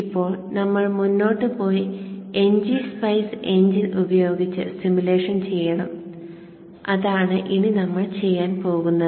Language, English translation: Malayalam, Now we have to go forward and do the simulation using the NG Spice engine which is what we will be doing now